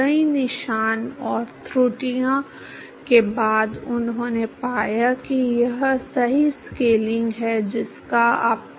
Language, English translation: Hindi, It is after a several trail and errors he found that this is the correct scaling that you have to use